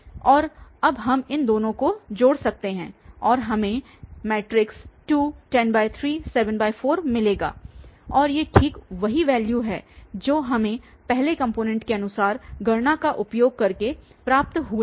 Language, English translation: Hindi, And now we can add the two and we got 2, 10 by 3, 7 by 4 and these are exactly the values which we got earlier also using the component wise a calculation